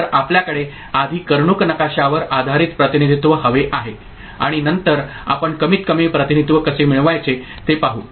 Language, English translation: Marathi, So, we would like to have a Karnaugh map based representation first and then we shall see how to how to get a minimized representation right